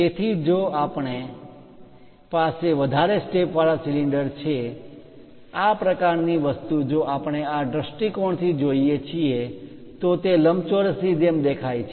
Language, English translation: Gujarati, So, if we have multiple cylinders such kind of thing, if we are looking from this view they appear like rectangles